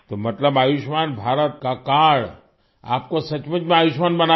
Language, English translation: Hindi, So the card of Ayushman Bharat has really made you Ayushman, blessed with long life